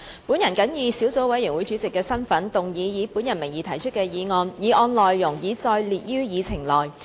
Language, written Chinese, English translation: Cantonese, 我謹以小組委員會主席的身份，動議以我名義提出的議案，議案內容已載列於議程內。, In my capacity as Chairman of the Subcommittee I move that the motion under my name as printed on the Agenda be passed